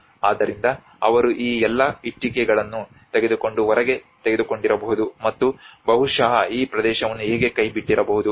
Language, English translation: Kannada, So they might have taken all these bricks and taken out, and probably this area might have got abandoned